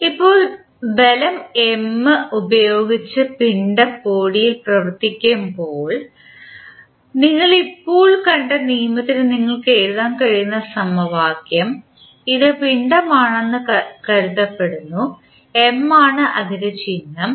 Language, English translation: Malayalam, Now, when the force is acting on the body with mass M the equation which you can write for the law which we just saw is supposed this is the mass of symbol M